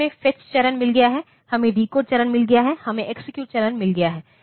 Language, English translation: Hindi, So, we have got fetch phase, we have got decode phase, we have got execute phase and once